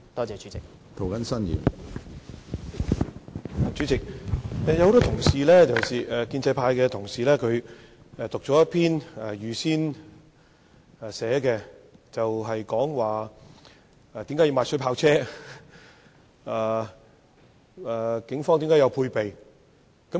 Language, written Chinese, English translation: Cantonese, 主席，多位建制派同事讀出事先準備的講稿，陳述為何需要購買水炮車，又指警方須有配備。, President a number of colleagues from the pro - establishment camp have already read out the speeches written in advance stating why it is necessary to purchase water cannon vehicles . They also point out that the Police must be equipped